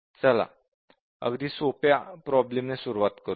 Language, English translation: Marathi, Let us look to start with, let us look at a very simple problem